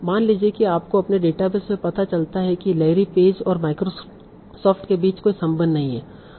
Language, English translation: Hindi, So suppose you find out in your coppers or your sorry, in your database there is no relation between Larry Page and Microsoft